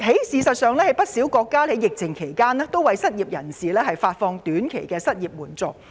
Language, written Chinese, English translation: Cantonese, 事實上，不少國家在疫情期間均為失業人士提供短期失業援助。, In fact many countries have provided short - term unemployment assistance to the unemployed during the epidemic